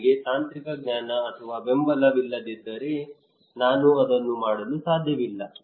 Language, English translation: Kannada, If I do not have the technological knowledge or support then I cannot do it